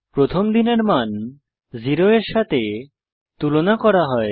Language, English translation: Bengali, First the value of day is compared with 0